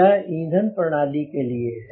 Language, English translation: Hindi, this is the fuel flow